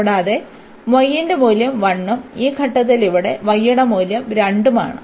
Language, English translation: Malayalam, And also the value of y is 1 and at this point here the value of y is 2